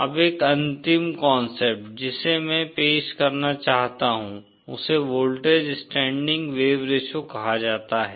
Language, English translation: Hindi, Now one final concept that I want to introduce is what is called as the voltage standing wave ratio